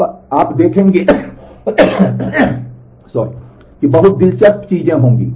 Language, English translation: Hindi, Now, you see very interesting things will happen